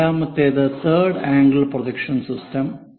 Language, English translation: Malayalam, Let us look at third angle projection system